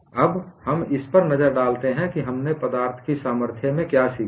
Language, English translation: Hindi, Now, let us look at what we have learnt in strength of materials